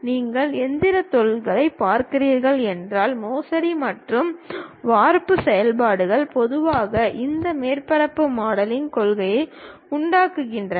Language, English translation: Tamil, If you are looking at mechanical industries, the forging and casting operations usually involves this surface modelling principles